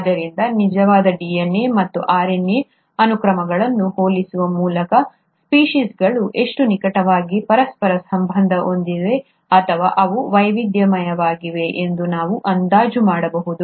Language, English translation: Kannada, So by comparing the actual DNA and RNA sequences, we can also estimate how closely the species are inter related, or they have diversified